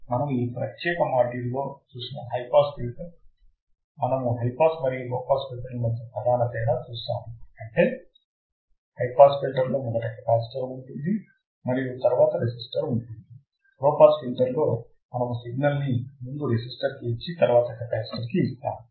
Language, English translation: Telugu, So, we have seen in this particular module high pass filters, we have seen the main difference between high pass and low pass filters is that in the high pass filter the capacitor is at the starting and the resistor is next; in the low pass filter we feed the value to resistor and then to capacitor